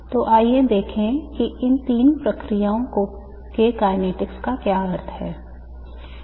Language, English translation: Hindi, So let us look at what is meant by the kinetics of these three processes